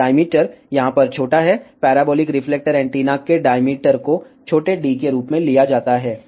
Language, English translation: Hindi, So, diameter is small d over here, diameter of the parabolic reflector antenna is taken as small d